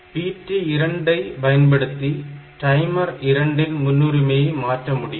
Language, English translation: Tamil, So, PT1 is the priority of timer 1 interrupt